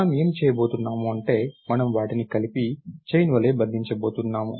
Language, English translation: Telugu, What we are going to do is we are going to chain them together